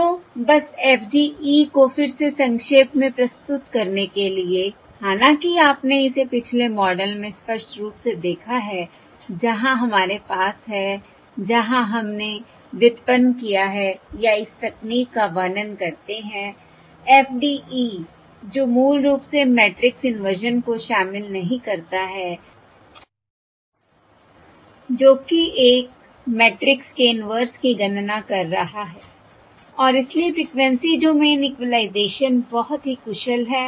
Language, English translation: Hindi, So just to summarise FDE again, all though you have seen it explicitly in the previous model where we have, where we have derived or describe this technique, FDE, which is basically does not involve matrix inversion, that is inverting, that is compute computing, the inverse of a matrix, and hence Frequency Domain Equalisation is very efficient